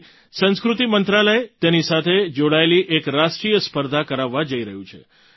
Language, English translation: Gujarati, Therefore, the Ministry of Culture is also going to conduct a National Competition associated with this